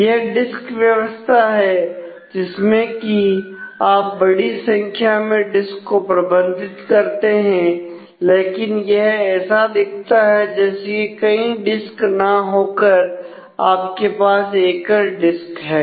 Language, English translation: Hindi, So, the disk organization that manage a large number of disk, but the view that you get you do not get to see the multiple disk you get to see a single disk